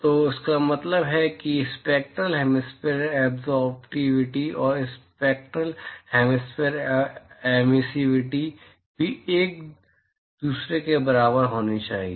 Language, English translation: Hindi, So, this means that the spectral hemispherical absorptivity and the spectral hemispherical emissivity also have to be equal to each other